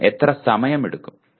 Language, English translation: Malayalam, And how much time it is likely to take